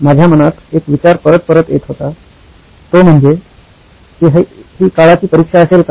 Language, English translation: Marathi, One thought kept coming back to me saying, will this stand the test of time